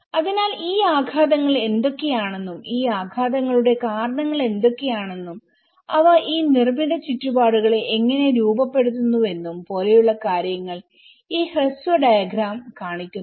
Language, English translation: Malayalam, So this is a kind of brief diagram shows like saying that what are the impacts and what are the causes for these impacts and how they shape these built environments